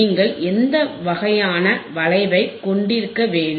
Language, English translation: Tamil, , wWhat kind of curve you should have